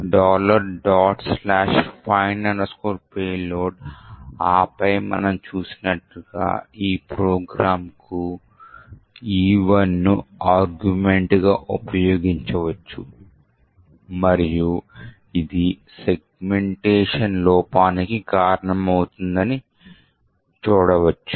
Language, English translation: Telugu, So, dot/findpayload and then as we have seen we can use E1 as an argument to our program vuln cat e1 and see that it has a segmentation fault